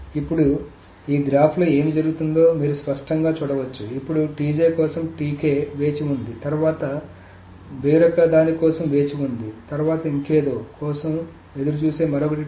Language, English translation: Telugu, So now you can clearly see what is going to happen in this graph is that now TJ waits for TK, then TK waits for something else and something else, something else, then that waits for T I